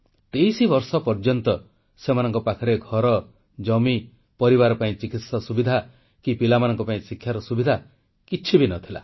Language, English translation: Odia, For 23 years no home, no land, no medical treatment for their families, no education facilities for their kids